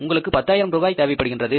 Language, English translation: Tamil, You need 10,000 rupees